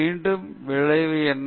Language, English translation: Tamil, And again, what is the consequence